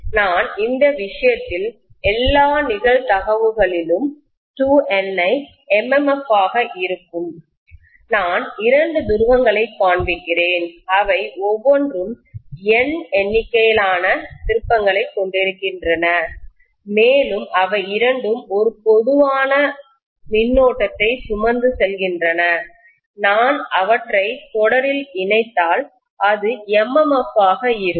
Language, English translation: Tamil, So I will have in all probability, 2 Ni as the MMF in this case, I am showing two poles, each of them consisting of N number of turns and both of them carrying a common current I if I connect them in series, so this is going to be the MMF